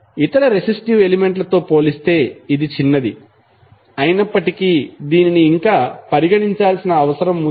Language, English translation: Telugu, Although it is small as compare to the other resistive element, but it is still need to be considered